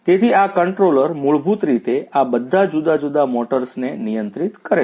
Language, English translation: Gujarati, So, this controller basically controls all these different motors